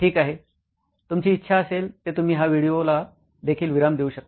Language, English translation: Marathi, Okay, you can even pause the video if you want